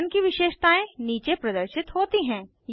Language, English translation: Hindi, Attributes of Pattern appear below